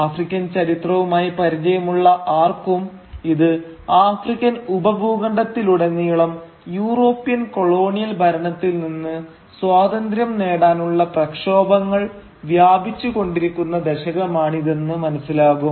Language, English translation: Malayalam, And anyone who is familiar with African history will know that this was the decade when agitations to gain independence from the European colonial rule was sweeping across the entire African subcontinent